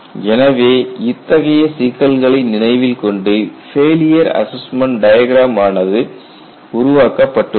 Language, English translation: Tamil, So, keeping these issues in mind, failure assessment diagram has been created